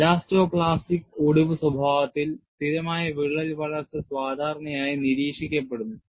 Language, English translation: Malayalam, In elasto plastic fracture behavior, stable crack growth is usually observed